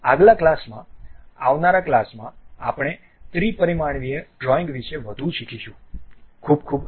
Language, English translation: Gujarati, In the next class we will learn more about these 3 dimensional drawings